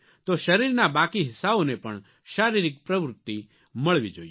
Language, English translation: Gujarati, Other parts of the body too require physical activity